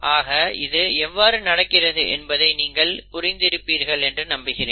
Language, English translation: Tamil, I hope you have understood how this is happening